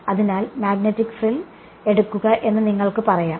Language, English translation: Malayalam, So, you can say that the take the magnetic frill